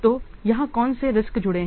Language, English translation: Hindi, What, what risk is associated here